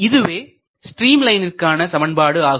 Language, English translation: Tamil, Now, to express the stream line in terms of some equation